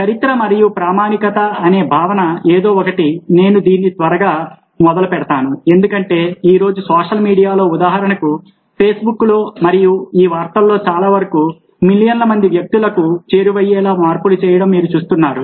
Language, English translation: Telugu, the concept of history and authenticity is something which i will just quickly touch up on, because you see that today in social media, for instance on facebook and many of these news feeds, whatever is happening is reaching millions of people